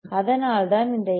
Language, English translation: Tamil, So, what is L 1